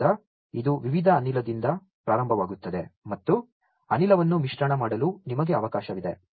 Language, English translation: Kannada, So, it starts with variety of gas and there is a provision for you to mix the gas also